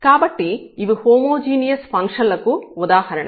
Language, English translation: Telugu, So, these are the examples of the homogeneous functions